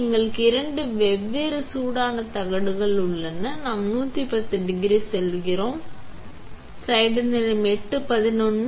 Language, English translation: Tamil, We have two different hot plates, we have one that goes to 110 degrees